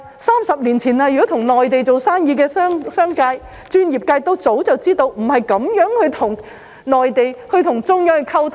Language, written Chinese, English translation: Cantonese, 三十年前跟內地有生意往來的商界或專業人士早就知道，不能這樣跟中央溝通。, They will not budge an inch . Businessmen and professionals who had business dealings with the Mainland 30 years ago knew early on that they could not communicate with the Central Authorities in this way